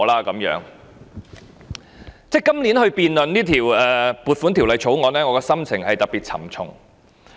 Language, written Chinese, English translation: Cantonese, 今年辯論這項撥款條例草案，我的心情特別沉重。, In the debate of this Appropriation Bill this year I particularly have a heavy heart